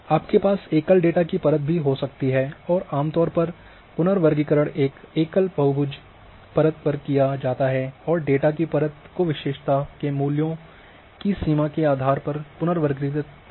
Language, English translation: Hindi, Or a series or attributes you can also have of a single data layer and generally the reclassification is done on a single layer single say polygon layer and reclassifying the data layer based on the range of values of the attribute